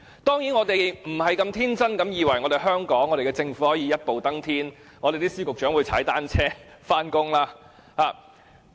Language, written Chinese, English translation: Cantonese, 當然，我們不是天真地以為香港政府可以一步登天，司長和局長可以踏單車上班。, Of course we are not so naïve as to think that the Hong Kong Government can achieve such a goal overnight and the Secretaries will ride a bicycle to work